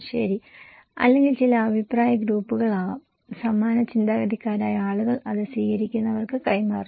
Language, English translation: Malayalam, Okay or could be some opinion groups, same minded people they pass it to the receivers